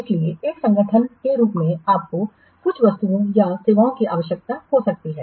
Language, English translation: Hindi, So, as an organization you might require some goods or services